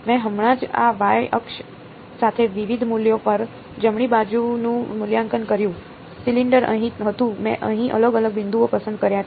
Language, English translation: Gujarati, I just evaluated the right hand side at different values along the along this y axis, the cylinder was here I just chose different discrete points over here